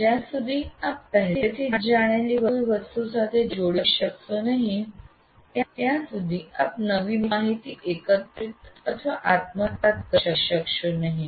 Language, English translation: Gujarati, See, unless you are able to link to something that you already know, you will not be able to gather the new information